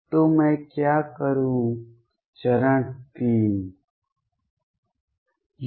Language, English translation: Hindi, So, what do I do now step 3